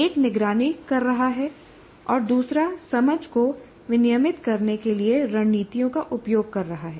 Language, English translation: Hindi, So one is you should be able to monitor and the other one use strategies to regulate understanding